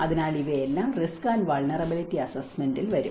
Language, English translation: Malayalam, So, all these things will come under within the risk and vulnerability assessment